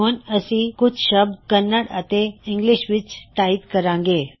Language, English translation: Punjabi, We will now type a sentence in Kannada and English